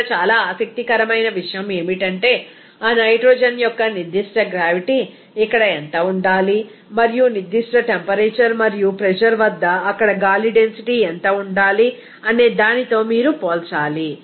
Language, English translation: Telugu, Here very interesting that you have to compare that to what should be the specific gravity here density of that nitrogen and also what should be the density of the air there at a particular temperature and pressure